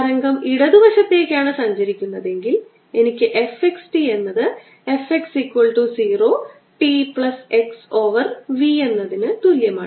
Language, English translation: Malayalam, if the wave was traveling to the left, i would have had f x t equals f at x is equal to zero at time x over v